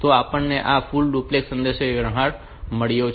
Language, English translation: Gujarati, So, we have got this full duplex communication